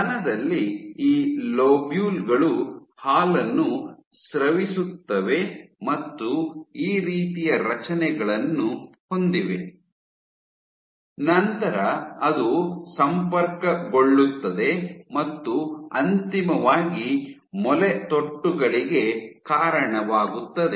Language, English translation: Kannada, So, in the breast, what you have, you have these lobules which secrete milk and these so you have this kind of structures lobules which get connected and eventually lead to the nipple